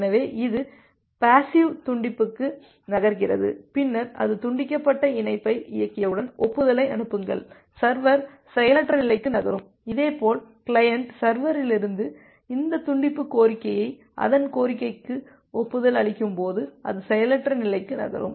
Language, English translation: Tamil, So, it moves to the passive disconnection then once it execute the disconnect primitives, send the acknowledgement, the server moves to the idle state; similarly when the client receive this disconnection request from the server that gives an acknowledgement to its request, it moves to the idle state